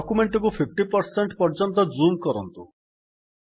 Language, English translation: Odia, Let us zoom the document to 50%